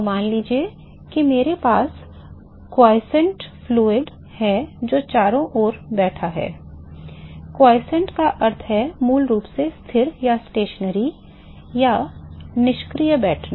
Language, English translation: Hindi, So, suppose I have quiescent fluid which is sitting around, quiescent means basically stationary or sitting idle